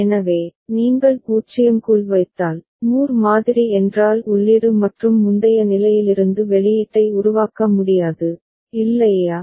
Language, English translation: Tamil, So, if you put inside a 0, Moore model means output cannot be generated from the input and previous state, is not it